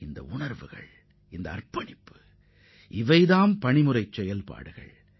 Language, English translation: Tamil, This spirit, this dedication is a mission mode activity